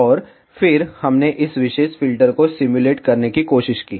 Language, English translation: Hindi, And then, we tried to simulate this particular filter